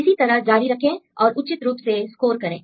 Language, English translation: Hindi, So, you can continue as it is and then appropriately score